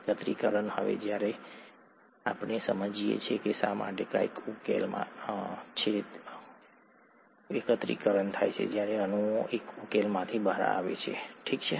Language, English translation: Gujarati, Now that, now that we understand why something is in solution, aggregation happens when molecules fall out of solution, okay